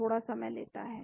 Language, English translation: Hindi, Takes little bit time